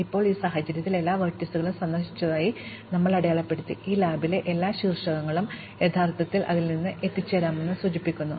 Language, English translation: Malayalam, Now, in this case, we have marked all the vertices as visited, which indicates that every vertex in this graph is actually reachable from 1